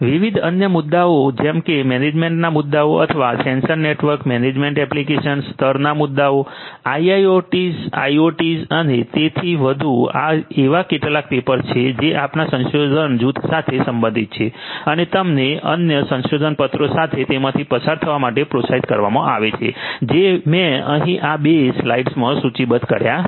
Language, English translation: Gujarati, Different other issues such as the issues of management or sensor network management application level issues IIoT, IoT and so on, these are some of these papers again that belong to our research group and you are encouraged to go through them along with the other research papers that I have listed over here in these two slides